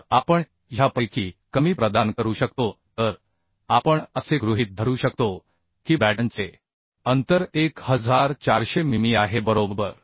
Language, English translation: Marathi, So we can provide lesser of this so we can assume the batten spacing as 1400 mm right